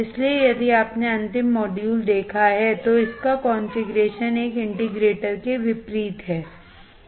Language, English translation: Hindi, So, if you have seen the last module, its configuration is opposite to an integrator